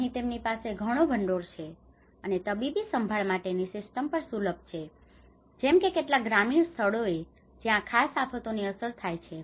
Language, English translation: Gujarati, Here they have more funds and also the medical care systems are accessible like in some of the rural places where these particular disasters to gets affected